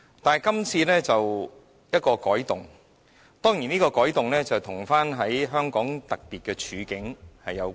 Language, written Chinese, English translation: Cantonese, 但是，今次的《條例草案》便是一個改動，當然這改動與香港的特別處境有關。, But this Bill marks a change and this change is understandably related to the special circumstances of Hong Kong